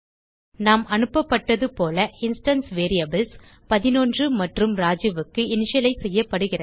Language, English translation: Tamil, Now the instance variables will be initialized to 11 and Raju.As we have passed